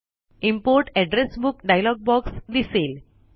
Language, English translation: Marathi, The Import Address Book dialog box appears